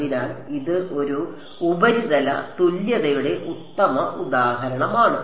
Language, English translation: Malayalam, So, it is a perfect example of a surface equivalence